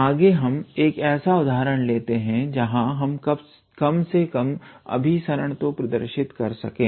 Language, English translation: Hindi, Next, let us consider an example where we can at least show the convergence